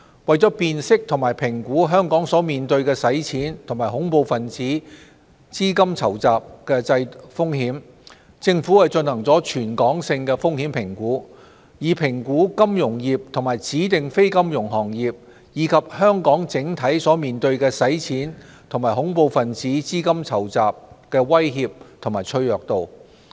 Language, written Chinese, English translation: Cantonese, 為辨識及評估香港所面對的洗錢及恐怖分子資金籌集風險，政府進行了全港性風險評估，以評估金融業及指定非金融行業，以及香港整體面對的洗錢及恐怖分子資金籌集威脅及其脆弱度。, To identify and assess money launderingterrorist financing threats facing Hong Kong we have conducted a territory - wide risk assessment to examine the money launderingterrorist financing threats and vulnerabilities confronting financial businesses designated non - financial businesses and professions and the city as a whole